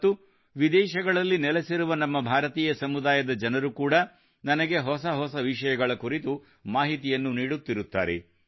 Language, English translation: Kannada, And there are people from our Indian community living abroad, who keep providing me with much new information